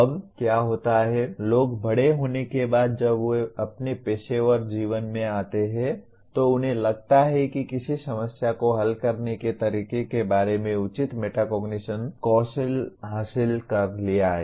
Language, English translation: Hindi, Now what happens grownup people once they get into their professional life they seem to have acquired reasonable metacognitive skills of how to go about solving a problem